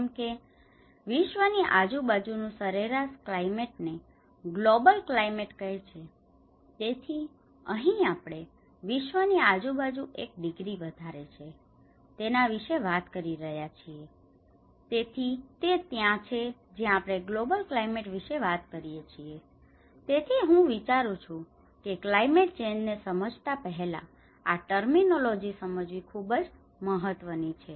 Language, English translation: Gujarati, Whereas, the average climate around the world is called the global climate so, here we are talking about the one degree rise of the global around the world, so that is where we are talking about the global climate so, I think these terminologies are very important for you to understand before understanding the climate change